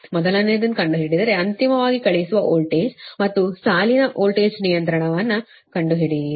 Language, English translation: Kannada, we have to find out the first one, find a, the sending end voltage and voltage regulation of the line